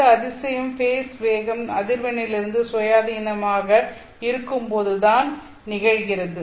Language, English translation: Tamil, And this miracle happens only when the face velocity is independent of frequency